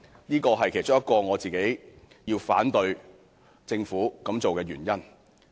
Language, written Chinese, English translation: Cantonese, 這是其中一個我反對政府這樣做的原因。, This is one of the reasons why I refuse to allow the Government to do so